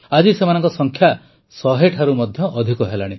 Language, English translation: Odia, Today their number is more than a hundred